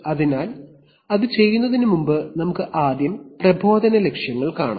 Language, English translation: Malayalam, So before we do that let us first see the instructional objectives